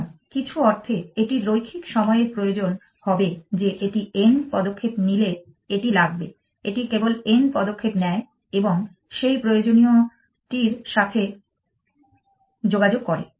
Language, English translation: Bengali, So, in some sense it will require linear time that it will take a if it takes n steps, it just about takes the n steps and communicates with that essential